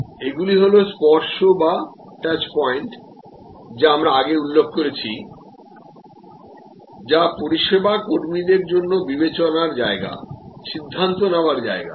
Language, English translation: Bengali, So, these are the touch points, that we have referred to earlier, which are also discretion point decision making points for service employees